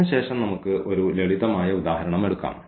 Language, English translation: Malayalam, And then let us take a simple example